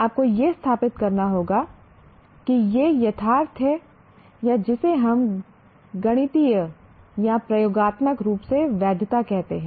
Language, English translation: Hindi, You have to establish its correctness or what we call validity of that either mathematically or experimentally